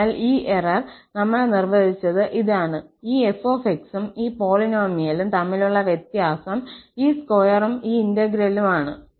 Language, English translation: Malayalam, So, this is what we have defined this error, the difference between this f and this polynomial here with this square and then integral